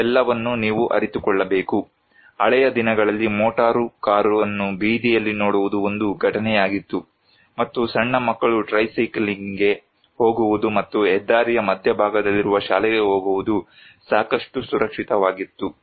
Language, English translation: Kannada, All this you must realize, was in the good old days when the sight of motor car on the street was an event, and it was quite safe for tiny children to go tricycling and whopping their way to school in the centre of the highway